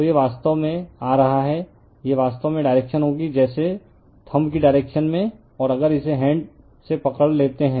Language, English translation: Hindi, So, it is actually coming it is actually direction will be like your in the direction of the thumb, if you grabs it right hand